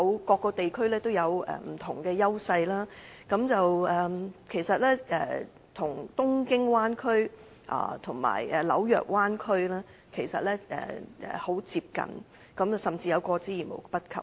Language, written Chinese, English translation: Cantonese, 各個地區有着不同的優勢，其實大灣區與東京灣區及紐約灣區很接近，甚至有過之而無不及。, Different regions have different strong points . In fact the scale of the Bay Area is very similar to Tokyo Bay Area and New York Bay Area . It can compare favourably with these Bay Areas if not better